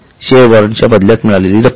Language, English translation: Marathi, The money received against share warrant